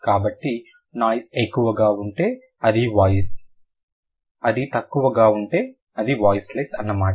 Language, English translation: Telugu, So, if the noise is more than it is voiced, if it is less, then it is voiceless